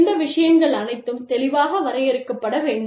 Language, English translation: Tamil, So, all these things, should be clearly defined